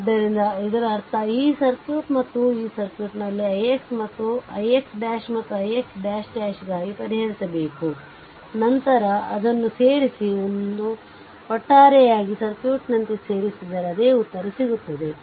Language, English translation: Kannada, So, that means, this circuit and that circuit you have to solve for i x dash and i x double dash, then you add it up and as a whole you add as a circuit you will get the same answer right